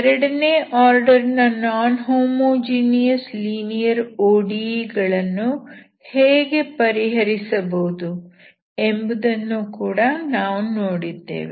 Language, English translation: Kannada, And we also have seen how to, how to solve non homogeneous second order linear OD